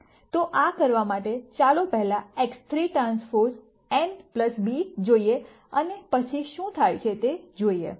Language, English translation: Gujarati, So, to do this, let us rst look at X 3 transpose n plus b and then see what happens